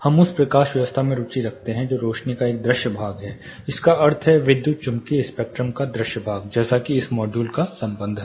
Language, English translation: Hindi, We are interested in the lighting that is a visible part of the lights mean visible part of the electromagnetic spectrum as for this module is concerned